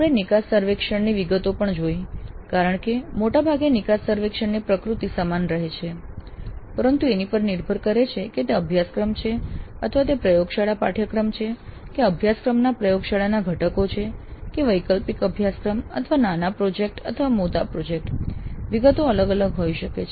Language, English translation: Gujarati, Then we also looked at the details of the exit survey because broadly the exit survey nature remains same but depending upon whether they are core courses or whether the laboratory courses or laboratory components of a course or elective courses or mini projects or major projects, the details can vary